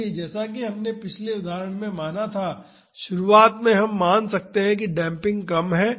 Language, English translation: Hindi, So, as we assumed in the previous example initially we can assume that the damping is small